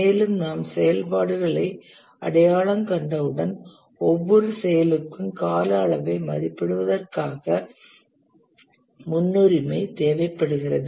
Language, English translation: Tamil, And once we identify the activities, their precedence relationship, we need to estimate the time duration for each of these activities